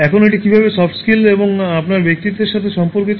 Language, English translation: Bengali, Now how is this related to soft skills and your personality